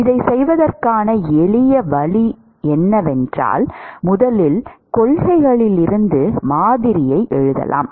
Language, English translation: Tamil, A simpler way to do is one could write model from first principles